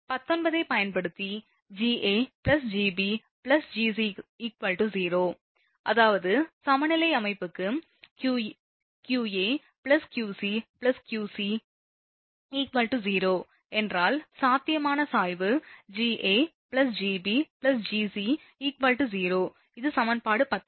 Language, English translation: Tamil, So, Ga plus Gb plus Gc is equal to 0 using 19; that means, for balance system, if qa plus qb plus qc is 0 then, potential gradient also Ga plus Gb plus Gc is equal to 0 this is equation 19, right